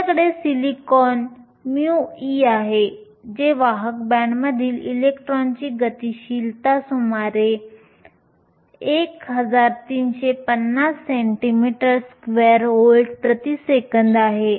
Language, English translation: Marathi, You have silicon mu e, which is the mobility of the electron in the conduction band is around 1350 centimeters square volts per second